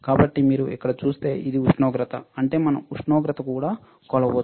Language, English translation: Telugu, So, if you see here, this is the temperature; that means, we can also measure temperature